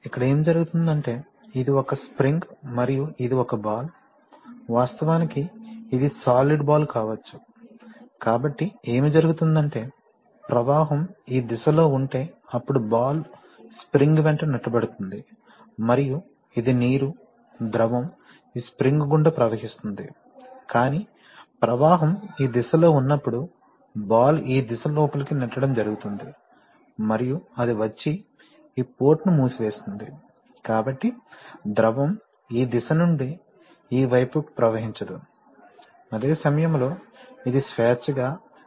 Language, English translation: Telugu, So here what is happening is that, this is a spring, this is a spring and this is a ball, this is actually a ball, solid ball may be balls, so what is happening is that, if you if the flow is in this direction then the ball will be pushed along the spring and it will be the water, the fluid will flow through this, like this through the spring but when it will be, when the flow will be in this direction then the ball will be pushed in this direction and it will come and settle and close this port, this port, so fluid cannot flow from this direction to this way, while it can flow freely through this